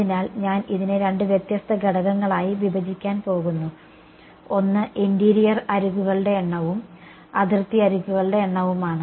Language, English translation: Malayalam, So, I am going to break this up into two different components, one is the number of interior edges and the number of boundary edges ok